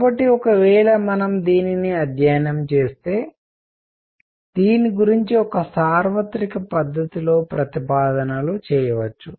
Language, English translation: Telugu, So, if we study it, we can make statements about it in a universal way